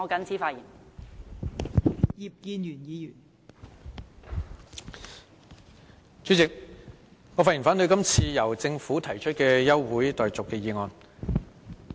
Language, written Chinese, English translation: Cantonese, 代理主席，我發言反對這項由政府提出的休會待續議案。, Deputy Chairman I speak to oppose the adjournment motion moved by the Government